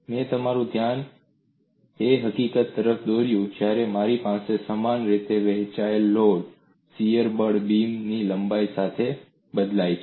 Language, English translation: Gujarati, I drew your attention to the fact, when I have a uniformly distributed load shear force varies along the length of the beam